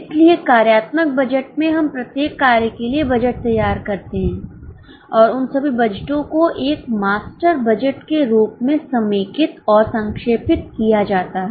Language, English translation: Hindi, So, in the functional budget, we prepare budgets for each function and all those budgets are consolidated and summarized in the form of a master budget